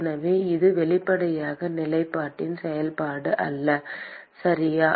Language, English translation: Tamil, So, it is obviously not a function of the position, okay